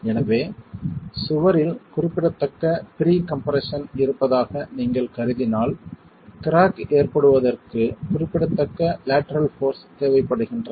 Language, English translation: Tamil, And therefore if you are assuming that there is significant pre compression in the wall, significant lateral forces required for cracking to occur